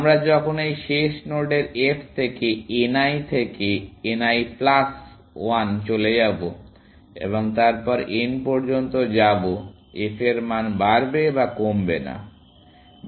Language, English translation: Bengali, As we move from f of this last node n l to n l plus one, and so on to n, the f value will increase, or at least not decrease